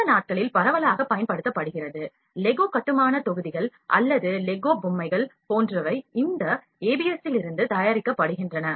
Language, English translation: Tamil, It is strong study material that is widely used these days, like Lego building blocks or Lego toys are made of this ABS to quote as an example